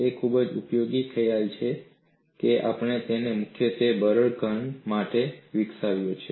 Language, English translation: Gujarati, It is a very useful concept that we have primarily developed it for a brittle solid